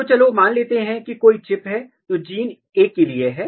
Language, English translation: Hindi, So, let us assume if there is a chip which is for gene A